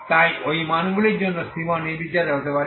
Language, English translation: Bengali, So so for those Mu values c 1 can be arbitrary